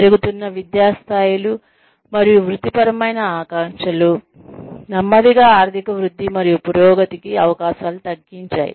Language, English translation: Telugu, Rising educational levels and occupational aspirations, coupled with slow economic growth, and reduced opportunities, for advancement